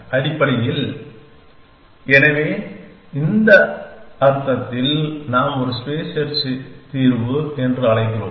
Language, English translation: Tamil, Essentially, so in that sense we call is a solution space search